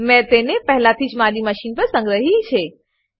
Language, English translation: Gujarati, I have already saved it on my machine